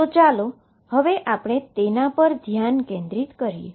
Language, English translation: Gujarati, So, let us focus them on at a time